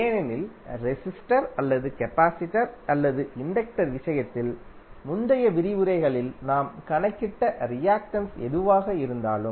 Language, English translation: Tamil, Because in case of resistor or capacitor or inductor, whatever the reactance is which we calculated in previous lectures